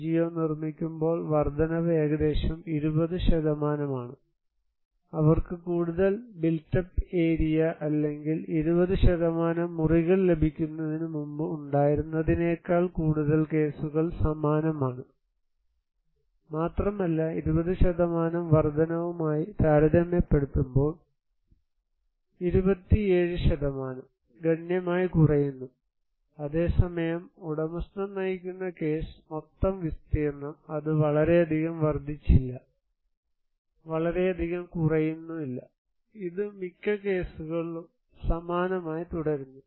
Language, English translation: Malayalam, When NGO constructed, increase is around 20%, what they had before they received more built up area, or rooms that is 20%, most of the cases is same but also significantly 27% compared to 20% increase that decrease, whereas in case of owner driven, it did not increase much also, did not decrease much, it remains most of the cases the same, the total area